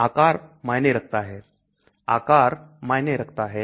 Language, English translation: Hindi, The size matters , the shape matters